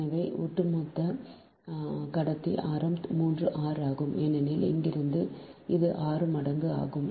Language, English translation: Tamil, so the overall conductor radius is three r, because from here this is six times